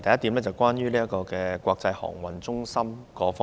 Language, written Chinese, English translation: Cantonese, 第一點，關於國際航運中心。, Firstly it is about the idea of an international transportation centre